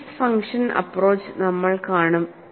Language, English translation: Malayalam, Then we would also see Green's function approach